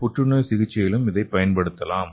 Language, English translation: Tamil, And another thing is we can also use it for cancer therapy